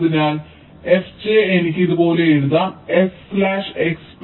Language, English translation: Malayalam, so so f j, i can write like this: s bar x plus s y